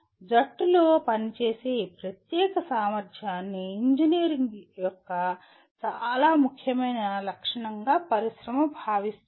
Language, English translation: Telugu, Industry considers this particular ability to work in a team as one of the very very important characteristic of an engineer